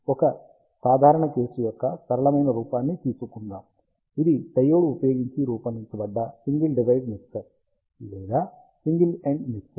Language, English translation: Telugu, Let us take a simple case a simplest form, which is single device mixer or single ended mixer using a diode